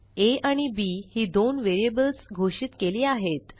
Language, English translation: Marathi, First, we declare two variables a and b